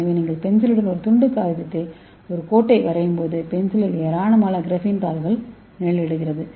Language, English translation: Tamil, So the graphene has very good conductive property so when you draw a line on a piece of paper with the pencil, the pencil shades numerous grapheme sheets, okay